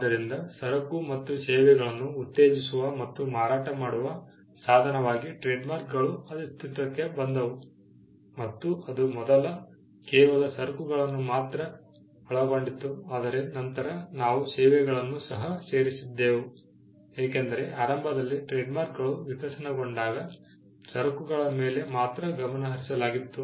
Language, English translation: Kannada, So, trademarks came up as a means to promote and sell goods and services and goods and services earlier it was just goods, but later on we added services because, when trademarks evolved initially the focus was only on goods